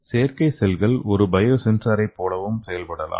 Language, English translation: Tamil, So this artificial cells can also act like a biosensors